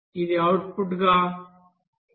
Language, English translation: Telugu, So it is coming as 0